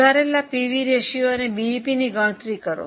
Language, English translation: Gujarati, Compute the revised PV ratio and BEP